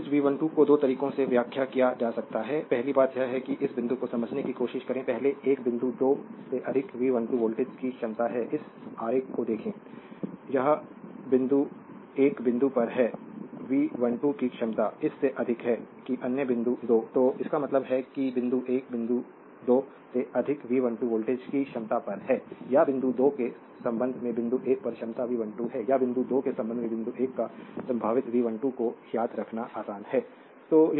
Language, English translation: Hindi, So, the voltage V 12 to can be interpreted as your in 2 ways first thing is this point you try to understand first one is the point 1 is at a potential of V 12 volts higher than point 2, look at this diagram right, it this point is your at a potential of V 12 higher than this your what you call that other point 2